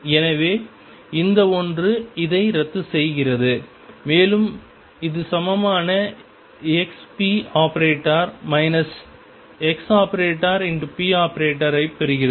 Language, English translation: Tamil, So, this fellow cancels with this and I get this equal to expectation value of x p minus x p